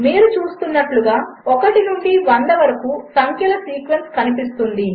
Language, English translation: Telugu, As you can see a sequence of numbers from 1 to 100 appears